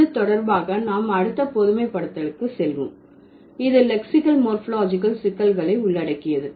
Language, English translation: Tamil, So, in this connection we will move to the next generalization that involves lexical, morphological complexities